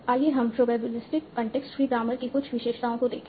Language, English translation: Hindi, Let's look at some of the features of probabilistic context free grammars